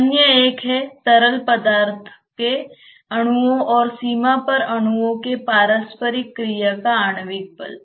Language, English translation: Hindi, The other one is the, inter molecular force of interaction between the molecules of the fluid and the molecules at the boundary